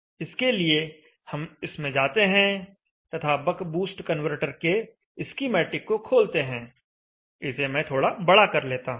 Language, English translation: Hindi, So let us go this one an open the schematic of the bug boost converter and let me zoom it like this